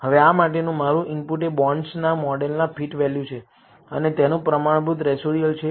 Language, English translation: Gujarati, Now, my input for this is fitted values of the bonds model and the standardized residuals the reason